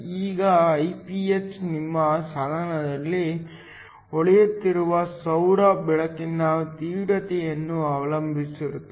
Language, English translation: Kannada, Now, Iph depends upon the intensity of solar light that is shining on your device